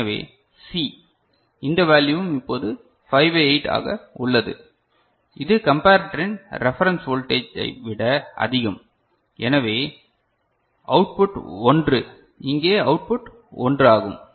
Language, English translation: Tamil, So, C so this value is also 5 by 8 now, this is more than the reference voltage of the comparator so, the output is 1, output of here is 1 ok